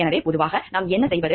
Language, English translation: Tamil, So, generally what we do is